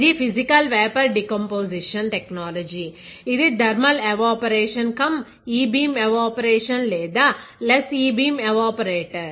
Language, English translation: Telugu, It is a physical vapour deposition technique; it is a thermal evaporation cum e beam evaporation or thermal evaporations less e beam evaporator